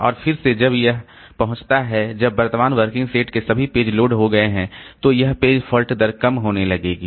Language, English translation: Hindi, And again when it reaches when all the pages of the working set at current working set have been loaded, then this page fault rate will start decreasing